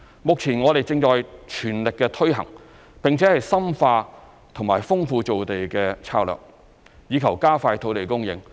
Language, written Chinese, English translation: Cantonese, 目前我們正全力推行，並且深化及豐富造地策略，以求加快土地供應。, Now we are fully committed to implementing as well as deepening and enriching the land creation strategy to accelerate land supply